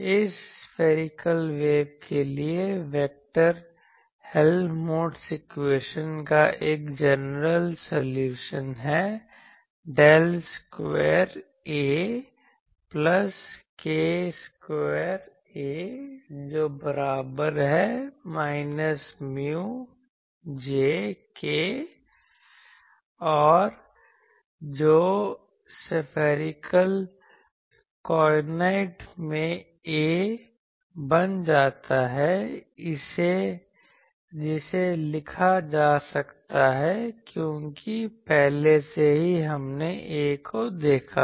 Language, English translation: Hindi, For this spherical waves, a general solution to the vector Helmholtz equation of del square A plus k square A is equal to minus mu J becomes in spherical coordinates this A can be written because already we have seen A